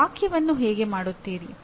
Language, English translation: Kannada, How do you make a sentence